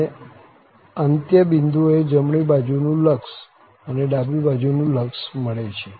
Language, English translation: Gujarati, And at the end points, the right limit and the left limit exist